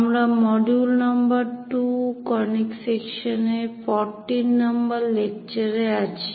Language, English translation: Bengali, We are in module number 2, lecture number 14 on Conic Sections